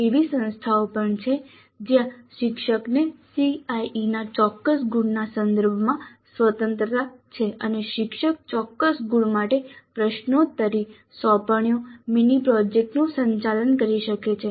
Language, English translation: Gujarati, There are also institutes where the teacher has freedom with respect to certain marks of the CIE and the teacher can administer quizzes, assignments, mini projects for certain marks